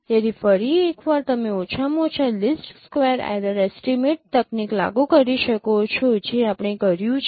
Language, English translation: Gujarati, So once again you can apply the least square error estimate technique that we did